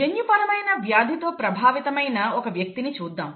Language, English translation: Telugu, Let us look at a person affected with a genetic disease